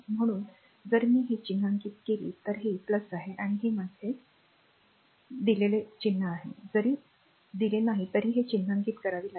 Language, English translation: Marathi, So, if I mark this is my plus, and this is my this even even if it is not given you have to mark it, right